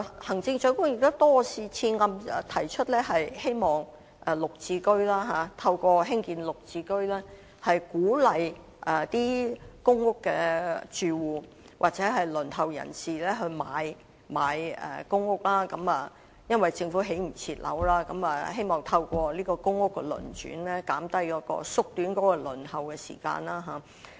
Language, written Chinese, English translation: Cantonese, 行政長官多次提出希望透過綠表置居計劃鼓勵公屋住戶或輪候人士購買公屋，因為政府未能及時興建樓宇，希望透過公屋的輪轉縮短輪候時間。, The Chief Executive has repeatedly encouraged PRH tenants or applicants on the PRH Waiting List to purchase PRH units through the Green Form Subsidised Home Ownership Scheme GSH because the Government cannot provide housing units in time and so it is hoped that the waiting time for PRH units can be shortened through the turnover of PRH units